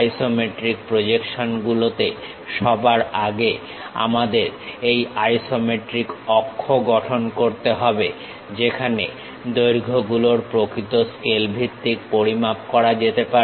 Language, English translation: Bengali, In isometric projections first of all we have to construct this isometric axis where lengths can be measured on true scale basis